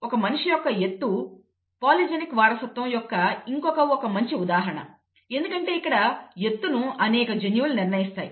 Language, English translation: Telugu, The human height is again a good example of polygenic inheritance where multiple genes determine the height of person